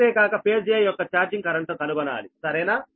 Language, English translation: Telugu, also, find out the charging current of phase a